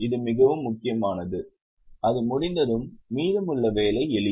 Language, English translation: Tamil, Once that is done, the remaining job is simple